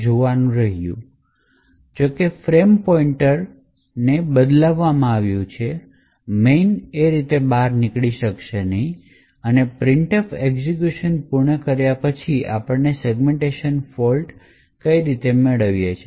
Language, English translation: Gujarati, However since the frame pointer has been modified the main will not be able to exit cleanly and that is why we obtain a segmentation fault after the printf completes execution